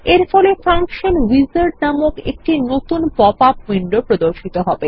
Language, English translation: Bengali, This opens a new popup window called the Function wizard